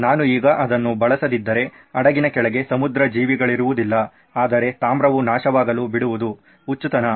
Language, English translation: Kannada, If I don’t use it now I don’t have marine life under the ship but copper is corroding like crazy